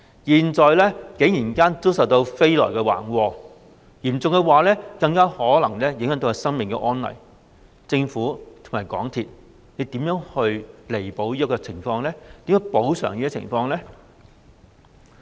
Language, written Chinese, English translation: Cantonese, 現在飛來橫禍，嚴重的話，更可能會影響生命安危，政府和港鐵公司會如何彌補這個情況並作出補償？, Now a misfortune has come out of the blue . In the worst case scenario it may endanger their lives . How will the Government and MTRCL remedy and compensate for this?